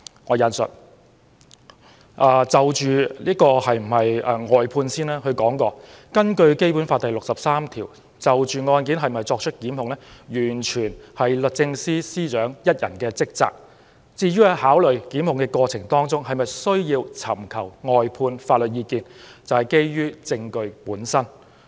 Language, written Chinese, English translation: Cantonese, 關於尋求外間法律意見，他認為根據《基本法》第六十三條，是否就案件作出檢控完全是律政司司長一人的職責，在考慮是否檢控的過程中需否尋求外間法律意見，則要基於證據本身。, With regard to the seeking of external legal advice he opined that under Article 63 of the Basic Law it was the sole responsibility of the Secretary for Justice to determine whether prosecution should be instituted and when considering whether prosecution action should be instigated a decision to seek external legal advice should be based on the evidence obtained